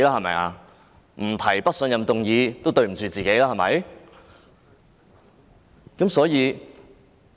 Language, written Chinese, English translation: Cantonese, 不提出不信任議案，也愧對自己吧？, It would fail ourselves if a no - confidence motion were not proposed would it not?